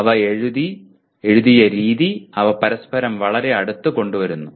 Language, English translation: Malayalam, The way they are written they are brought very close to each other